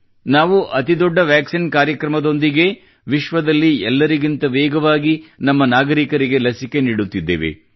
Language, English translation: Kannada, Along with the biggest Vaccine Programme, we are vaccinating our citizens faster than anywhere in the world